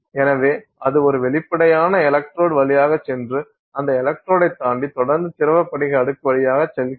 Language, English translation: Tamil, So, then that goes through there is a transparent electrode, it continues past the electrode, it goes through this liquid crystal layer